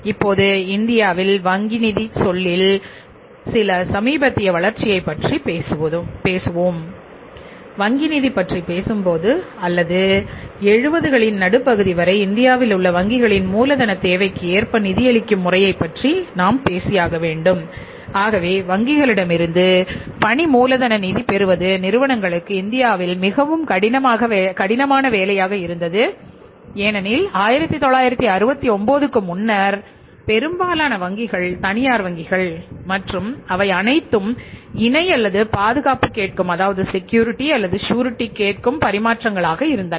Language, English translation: Tamil, See when you talk about the bank finance or financing the working capital requirement by requirements by the banks in India till mid 70s but getting the working capital finance from the banks was very very difficult job in India for the firms because most of the banks were before 1969 most of the banks were private banks and they were all the times were asking collateral or security